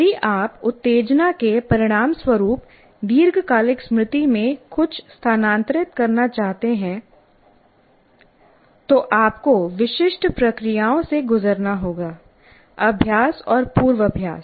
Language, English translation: Hindi, So if you want to transfer something as a result of stimulus something into the long term memory, you have to go through certain processes as we said practice and rehearsal